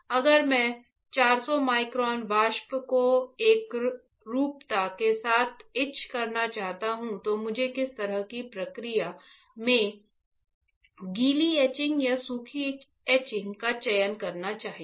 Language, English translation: Hindi, If I want to etch 400 microns vapors right and with uniformity, what kind of process I should select wet etching or dry etching